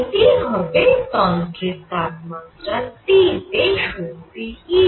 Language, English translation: Bengali, This is going to be the energy of the system E T